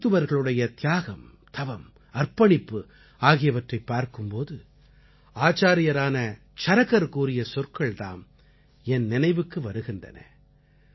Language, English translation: Tamil, Today when I witness the sacrifice, perseverance and dedication on part of doctors, I am reminded of the touching words of Acharya Charak while referring to doctors